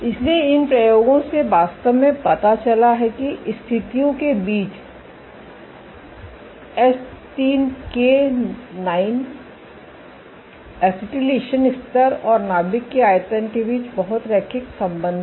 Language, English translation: Hindi, So, these experiments actually revealed that across the conditions there is a very linear relationship between H3K9 acetylation levels and nuclear volume